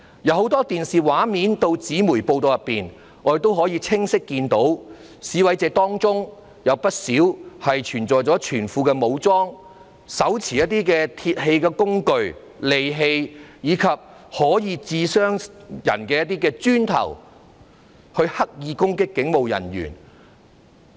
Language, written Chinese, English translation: Cantonese, 從很多電視畫面及紙媒報道，我們可以清晰看到，在示威者當中有不少人全副武裝，手持一些鐵器工具、利器，以及可以傷人的磚頭，用來刻意攻擊警務人員。, On the television screen and in press reports in print we can see clearly that many of the protesters had donned full gear holding metal tools sharp objects and bricks that could inflict injuries and used them to deliberately attack police officers